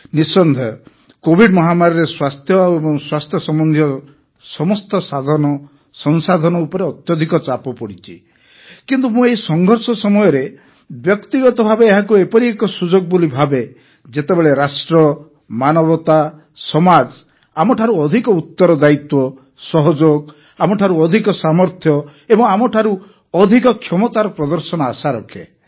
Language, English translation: Odia, Undoubtedly during the Covid pandemic, there was a lot of strain on all the means and resources related to health but I personally consider this phase of cataclysm as an opportunity during which the nation, humanity, society expects and hopes for display of all that more responsibility, cooperation, strength and capability from us